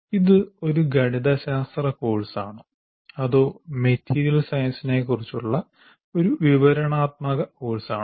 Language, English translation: Malayalam, Is it a mathematics course or is it a descriptive course on material science